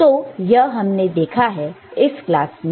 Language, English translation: Hindi, So, this is what you have seen in this particular class